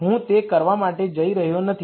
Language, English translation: Gujarati, I am not going to do that